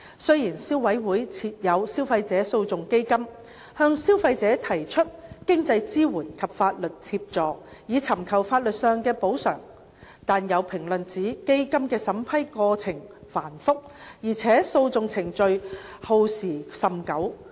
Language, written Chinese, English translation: Cantonese, 雖然消委會設有消費者訴訟基金，向消費者提供經濟支援及法律協助，以尋求法律上的補償，但有評論指基金的審批過程繁複，而且訴訟程序耗時甚久。, Although the Consumer Council has set up the Consumer Legal Action Fund the Fund to give consumers access to legal remedies by providing financial support and legal assistance there are comments that the Funds vetting and approval procedures are cumbersome and litigation proceedings are time - consuming